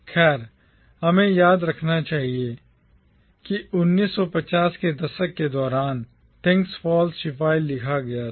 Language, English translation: Hindi, Well, we should remember that Things Fall Apart was written during the 1950’s